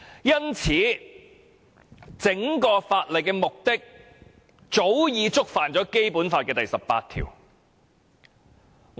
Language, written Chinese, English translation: Cantonese, 因此，整項《條例草案》的目的早已觸犯《基本法》第十八條。, Therefore the objective of the Bill is in contravention of Article 18 of the Basic Law right at the outset